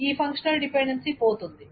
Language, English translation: Telugu, This functional dependency is lost